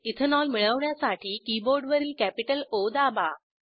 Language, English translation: Marathi, To obtain Ethanol, press O on the keyboard